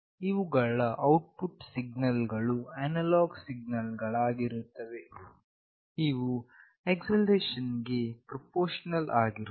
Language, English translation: Kannada, The output signals of these are nothing but some analog signals that are proportional to the acceleration